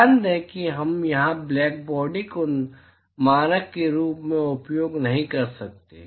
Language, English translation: Hindi, Note that we cannot use black body as a standard here